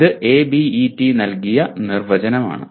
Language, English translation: Malayalam, This is as given by ABET